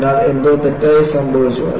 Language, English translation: Malayalam, So, something has gone wrong